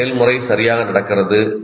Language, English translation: Tamil, What exactly the process that goes on